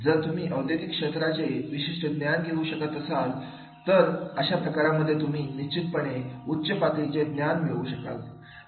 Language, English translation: Marathi, If you are able to get that industry specific knowledge, then in that case definitely you will be getting the higher level of the your knowledge